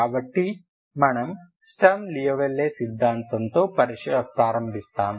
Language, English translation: Telugu, So this we move on to Sturm Liouville theory